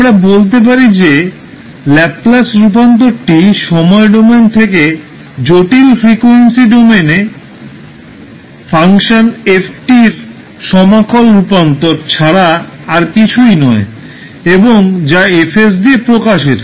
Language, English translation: Bengali, We can say that Laplace transform is nothing but an integral transformation of of a function ft from the time domain into the complex frequency domain and it is given by fs